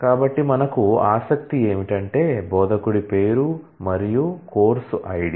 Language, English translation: Telugu, So, what we are interested in is, the name of the instructor and course id